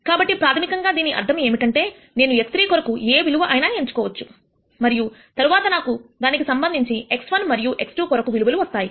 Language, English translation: Telugu, So, basically what this means is that, I can choose any value for x 3 and then corresponding to that I will get values for x 1 and x 2